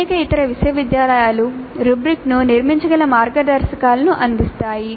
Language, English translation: Telugu, Many other universities do provide the kind of a guidelines based on which the rubrics can be constructed